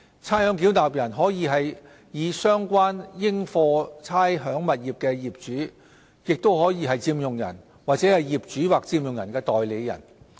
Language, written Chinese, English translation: Cantonese, 差餉繳納人可以是相關應課差餉物業的業主、佔用人或業主或佔用人的代理人。, A ratepayer can be the owner occupier or agent of the owner or occupier of the rateable property concerned